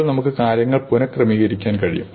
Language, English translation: Malayalam, So, now you can reorder things